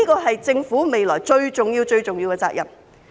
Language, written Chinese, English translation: Cantonese, 這是政府未來最重要、最重要的責任。, This is the top priority and the most important task of the Government in future